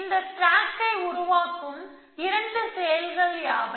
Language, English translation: Tamil, What are the two actions will produce this stack